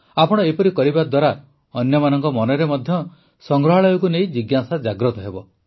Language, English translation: Odia, By doing so you will also awaken curiosity about museums in the minds of others